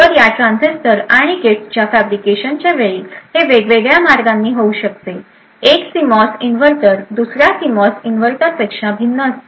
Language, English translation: Marathi, So, during the fabrication of these transistors and gates, that could be multiple different ways, one CMOS inverter differs from another CMOS inverter